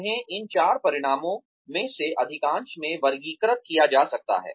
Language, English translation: Hindi, They can be categorized into, most of these in to, these four outcomes